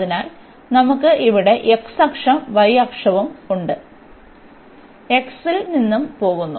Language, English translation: Malayalam, So, we have the x axis we have here y axis and x goes from 0